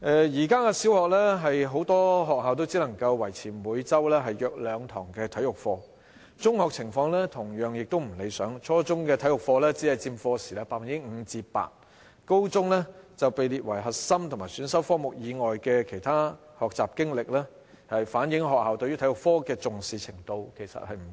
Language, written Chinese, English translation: Cantonese, 現時很多小學只能夠維持每周約兩堂體育課，中學情況亦同樣不理想，初中體育課時只佔 5% 至 8%， 高中則被列為核心和選修科目以外的其他學習經歷，反映學校對體育科的重視程度其實不高。, At present many primary schools can only maintain two lessons of physical education every week . The situation in secondary schools is not desirable either . Only 5 % to 8 % of the total lesson time is allocated to physical education at junior secondary level; and physical education is classified as Other Learning Experiences and is not a core or elective subject at senior secondary level showing that schools do not accord high importance to physical education